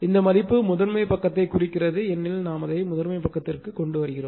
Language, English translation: Tamil, This/ this value called referred to the primary side because everything we have brought it to the primary side, right